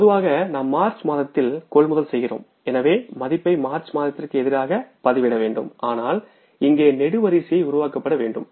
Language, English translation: Tamil, Normally we are going to purchase in the month of March so we will put the value there against the month of March but column has to be here